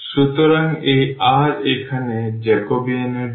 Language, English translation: Bengali, So, this r here that is for the Jacobian